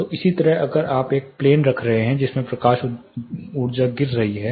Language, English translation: Hindi, So in the similar way if you are having a plane in which the light energy is falling on